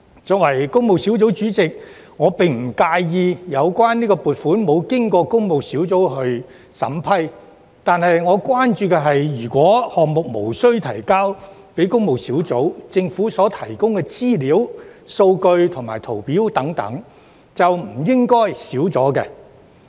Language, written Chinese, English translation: Cantonese, 作為工務小組委員會主席，我並不介意有關撥款沒有經過工務小組委員會審核，但我關注的是，如果有關項目無須提交工務小組委員會，政府所提供的資料、數據和圖表等便不應該減少。, As Chairman of PWSC I do not mind if the funding bypasses the scrutiny of PWSC . My concern is that if such projects are not required to be submitted to PWSC the Government should not provide less amount of information data and tables etc